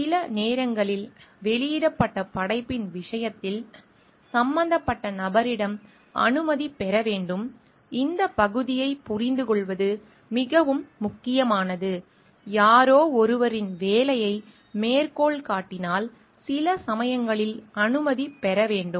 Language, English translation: Tamil, Sometimes in case of published work, permission needs to be sought from the concerned person this part is very important to understand like; if you are citing someone somebody s work, sometimes permission requires to be taken